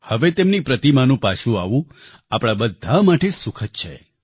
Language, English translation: Gujarati, Now the coming back of her Idol is pleasing for all of us